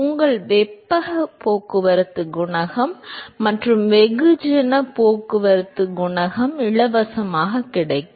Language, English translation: Tamil, Your heat transport coefficient and mass transport coefficient comes for free